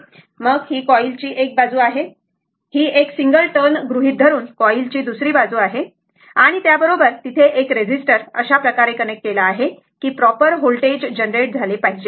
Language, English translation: Marathi, Then, this coil this is one side of the coil, this is other side of the coil assuming it is a single turn, right and with that one there is one resistor is connected here such that proper whether voltage is generated